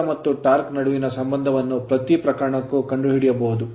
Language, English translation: Kannada, The relation between the speed and the torque in each case can be found out right